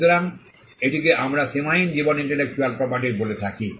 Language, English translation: Bengali, So, this is what we call an unlimited life intellectual property